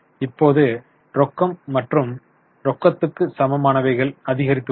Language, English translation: Tamil, Cash and cash equivalents has gone up